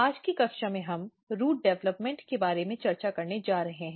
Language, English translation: Hindi, In today's class we are going to discuss about Root Development